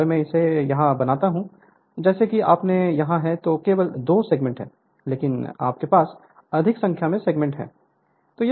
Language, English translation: Hindi, If I make it here as you have here it is only two segments, but you have more number of segments